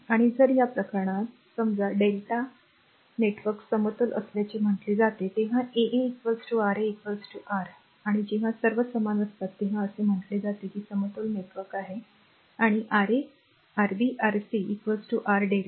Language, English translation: Marathi, And if in this case if a suppose delta and star networks are said to be balanced and when R 1 R 2 is equal to R 3 is equal to R star, and when all are equal it is said is a balance network right and Ra, Rb, Rc is equal to R delta right